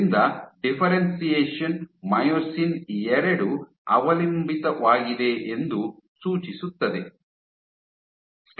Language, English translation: Kannada, So, suggesting the differentiation is myosin II dependent